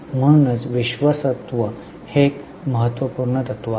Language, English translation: Marathi, That is why trustorship is a very important principle